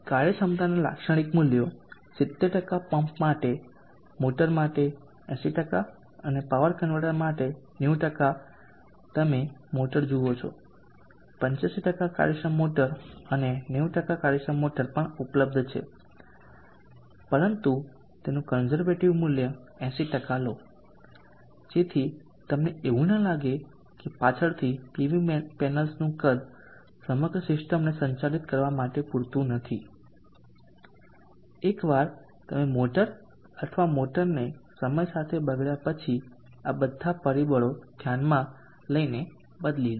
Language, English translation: Gujarati, Typical values of efficiency or the for the pump 70% for the motor 80% for the power convertor 90% you see the motor even 85% efficient motors are available 90% efficient motors are available but take a conservative value of 80% so that you do not feel that the later on like the PV panels size is not sufficient to handle the entire system once you change the motor or a motor as detrained with time all these factors